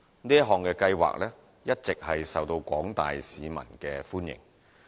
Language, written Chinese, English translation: Cantonese, 這項計劃一直受到廣大市民歡迎。, This programme has been well received by the general public